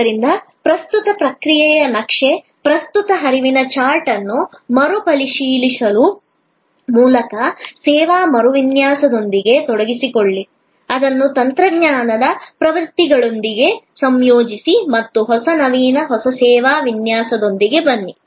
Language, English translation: Kannada, So, engage with a service redesign by re examining the current process map, the current flow chart, integrating it with technology trends and come up with a new innovative, new service design